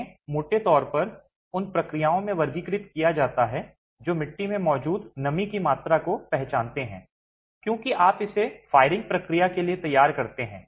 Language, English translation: Hindi, They are broadly classified into processes which recognize the amount of moisture present in the clay itself as you prepare it for the firing process